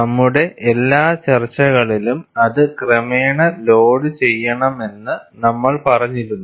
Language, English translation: Malayalam, In all our discussions, we have said, we have to load it gradually